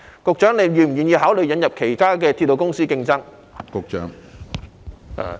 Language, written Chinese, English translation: Cantonese, 局長是否願意考慮引入其他鐵路公司以作競爭？, Is the Secretary willing to consider inviting competition from other railway corporations?